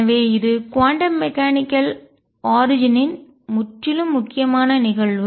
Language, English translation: Tamil, And so, is a very important phenomena purely of quantum mechanical origin